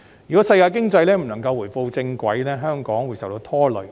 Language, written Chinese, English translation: Cantonese, 如果世界經濟不能夠回到正軌，香港便會受到拖累。, If the world economy cannot get back on the right track Hong Kong will also be affected